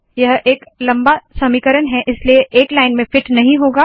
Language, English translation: Hindi, Its a long equation so it doesnt fit into one line